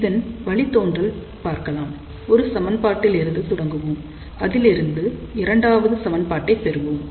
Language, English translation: Tamil, So, let us see the derivation we will start with one of the equation and we will get the second equation from that